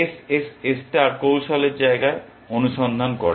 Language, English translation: Bengali, SSS star searches in the space of strategies